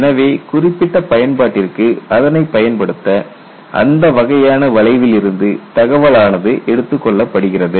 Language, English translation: Tamil, So, take the data from that kind of curve for you to apply it for your specific application